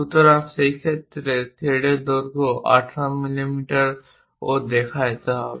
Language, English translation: Bengali, So, then in that case the thread length 18 mm also has to be shown this is the 18 mm